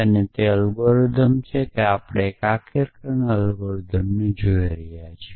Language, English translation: Gujarati, And that is algorithm that we are looking for unification algorithm